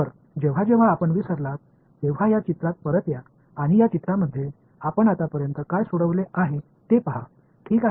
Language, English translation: Marathi, So, whenever you get lost come back to this picture and see what have we solved so far in this picture fine alright